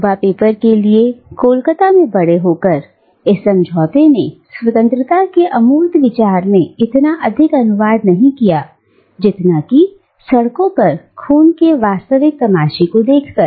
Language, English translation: Hindi, And, for young Spivak, growing up in Calcutta, this pact did not translate so much into the abstract idea of freedom, as to the more real spectacle of blood on the streets